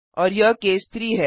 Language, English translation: Hindi, And this is case 3